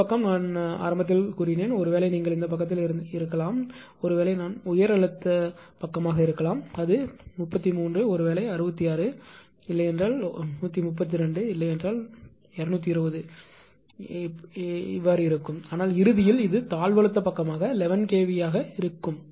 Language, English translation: Tamil, And this side I have told you at the beginning this side maybe you are on this side this side maybe I mean this heightens inside it maybe 33, maybe 66, maybe 130, maybe even 220 right , but ultimately it is stepping down to this side is 11 kv